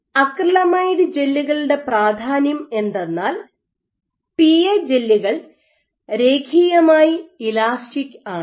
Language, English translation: Malayalam, Now the beauty of acrylamide gels is that it has been found that the pa gels are linearly elastic